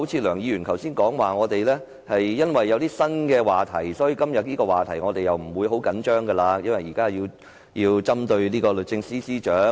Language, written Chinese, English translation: Cantonese, 梁議員剛才說因為我們已有新話題，所以不會很緊張今天這個話題，因為現在要針對律政司司長。, Mr LEUNG said that because we already have a new issue to deal with ie . to target the Secretary for Justice we did not show too much concern about this incident today